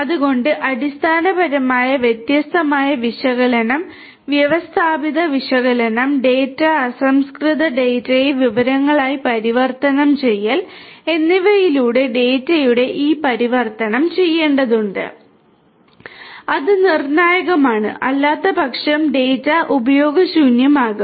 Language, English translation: Malayalam, So, basically this transformation of the data through the different analysis, a systematic analysis, transforming the data raw data into information has to be done, it is crucial otherwise it is that the data becomes useless